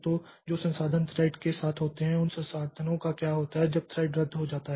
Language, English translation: Hindi, So, what happens to those resources when the thread gets cancelled